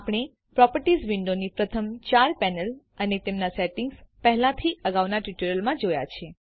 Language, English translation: Gujarati, We have already seen the first four panels of the Properties window and their settings in the previous tutorials